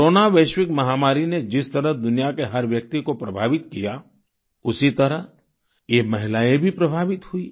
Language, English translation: Hindi, Just like the Corona pandemic affected every person in the world, these women were also affected